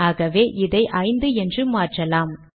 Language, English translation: Tamil, So what I will do is I will change this to 5th